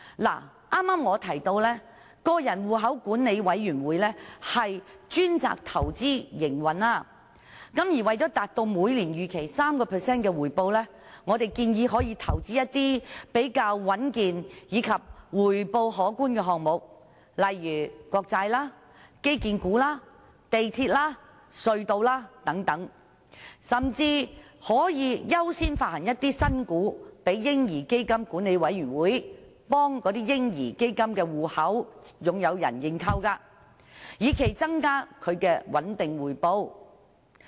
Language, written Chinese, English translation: Cantonese, 我剛才提到，委員會專責投資和營運基金，為了達到每年 3% 的預期回報，我們建議可投資一些比較穩健及回報可觀的項目，例如國債、基建股、地鐵和隧道等，甚至可以優先發行新股予委員會，讓委員會代"嬰兒基金"的戶口持有人認購，以期增加其穩定回報。, As I mentioned just now the committee will be responsible for investments and fund operation . In order to achieve the expected return of 3 % per annum we propose that investments be made in some relatively stable items with substantial return such as sovereign debts infrastructure shares Mass Transit Railway tunnels and so on . What is more priority may be accorded to the issuance of new shares to the committee so that it can make subscription on behalf of the baby fund account holders with a view to boosting their stable return